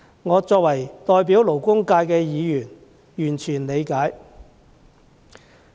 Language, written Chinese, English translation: Cantonese, 我身為代表勞工界的議員是完全理解的。, As a Member representing the labour sector I can totally understand all these requests